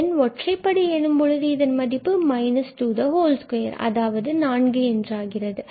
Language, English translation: Tamil, And when n is odd, when n is odd this will become minus 2 whole square that is meaning 4